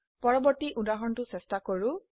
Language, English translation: Assamese, Let us try the previous example